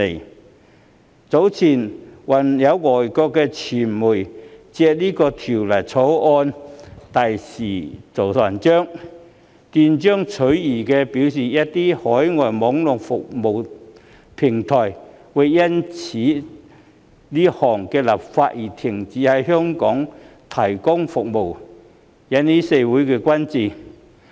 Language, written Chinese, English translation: Cantonese, 較早前，有外國傳媒更借《條例草案》大做文章，斷章取義地表示，一些海外網絡服務平台會因這項立法修訂而停止在港提供服務，這令社會各界甚為關注。, Earlier on some foreign media attempted to manipulate the Bill to stir up controversy by citing it out of context stating that some overseas Internet service platforms would stop providing services in Hong Kong due to this legislative amendment exercise . This has aroused much concern from all quarters of society